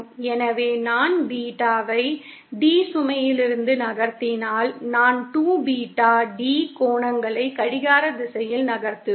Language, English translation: Tamil, So, if I move Beta D away from the load, I will be moving 2 Beta D angles in clockwise direction